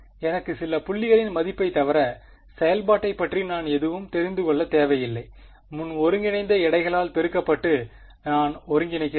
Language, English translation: Tamil, I do not need to know anything about the function except its values at some points, multiplied by precomputed weights I get the integral